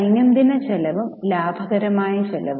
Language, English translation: Malayalam, Daily expenditure and profitable expenditure